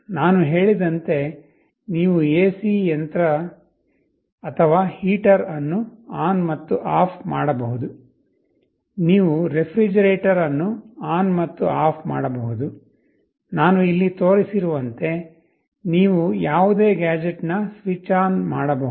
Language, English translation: Kannada, You can switch ON and OFF an AC machine or a heater as I told, you can switch ON and OFF a refrigerator, you can switch ON a switch of any gadget not only one device as I have shown here you can have multiple such devices